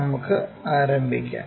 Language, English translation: Malayalam, Let us begin